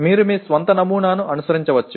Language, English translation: Telugu, You can follow your own pattern